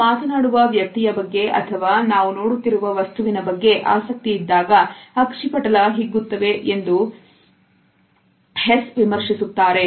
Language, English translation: Kannada, Eckhard Hess commented that pupil dilates when we are interested in the person we are talking to or the object we are looking at